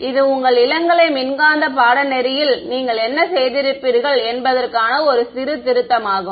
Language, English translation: Tamil, This is a bit of a revision of what you would have done in the your undergraduate electromagnetics course